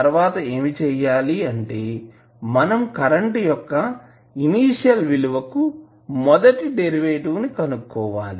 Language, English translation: Telugu, Now, next what you need to do is the first derivative of initial value of i